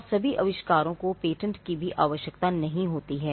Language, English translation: Hindi, And not all inventions need patents as well